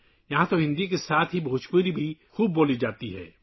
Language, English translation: Urdu, Bhojpuri is also widely spoken here, along with Hindi